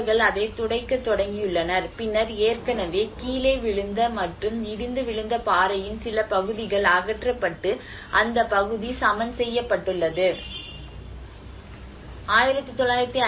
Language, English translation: Tamil, They have started clearing it, and then there are already some fallen and collapsed parts of rock lying in front were removed and the area has been leveled up